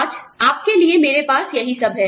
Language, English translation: Hindi, That is all, i have for you, for today